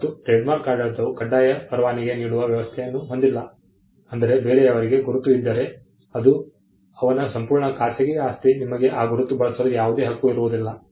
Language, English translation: Kannada, The trademark regime does not have a compulsory licensing mechanism meaning which if somebody else has a mark it is his absolute private property; you get no right to use the mark